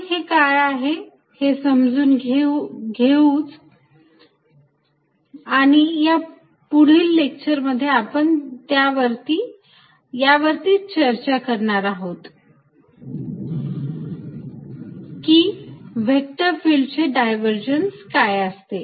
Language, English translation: Marathi, Let us understand the meaning of these and that is what the rest of the lecture is going to be about today I am going to focus on divergence of a vector field